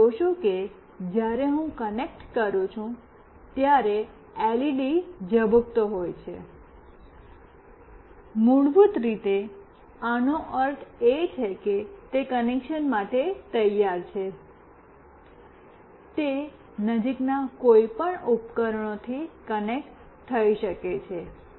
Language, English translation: Gujarati, You see when I connect this LED is blinking, basically this means that it is ready for connection, it can connect to any nearby devices